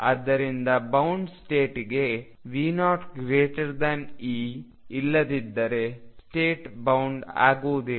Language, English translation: Kannada, So, for bound state V 0 must be greater than E otherwise the state would not be bound